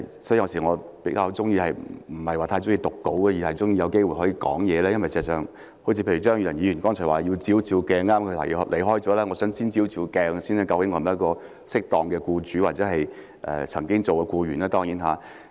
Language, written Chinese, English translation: Cantonese, 所以，我有時候不太喜歡唸稿，而是喜歡有機會直接發言，因為事實上正如張宇人議員剛才所說，要照一照鏡子——他剛離開會議廳——我想先照一照鏡子，究竟我是否適當的僱主，當然我曾經是僱員。, Therefore sometimes I am not so keen to read the script . I would rather have the opportunity to speak directly because as Mr Tommy CHEUNG who has just left the Chamber said earlier on we should look in a mirror . I wish to look in a mirror first to see whether I am a decent employer despite the fact that I used to be an employee